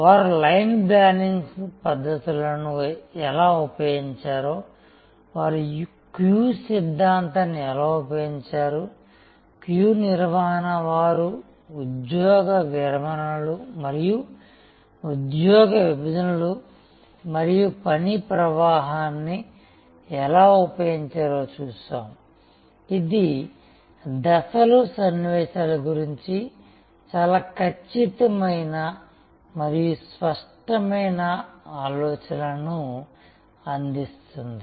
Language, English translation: Telugu, We looked at how they have used line balancing techniques, how they have used queue theory, queue management, how they have used job descriptions and job partitions and work flow, which provide on one hand, very precise and very clear ideas about the steps, the sequences